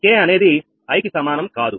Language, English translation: Telugu, k not is equal to i